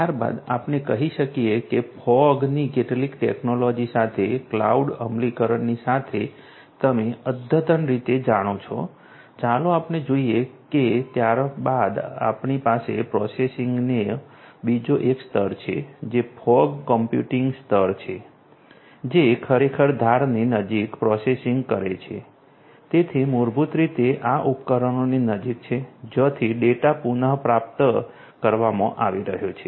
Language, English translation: Gujarati, Thereafter let us say that it is completely you know up to date with technology we have fog as well as cloud implementations, let us see that thereafter we have another layer of you know processing which is the fog computing layer, which actually does some processing close to the; close to the edge, so basically you know close to these devices from which the data are being retrieved